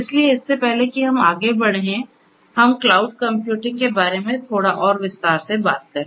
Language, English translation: Hindi, So, before we go in further, let us talk about cloud computing in little bit more detail